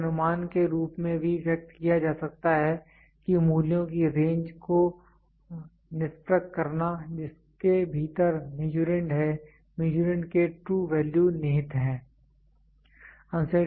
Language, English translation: Hindi, It can also be expressed as an estimate characterizing the range of values within which the true values of the Measurand lies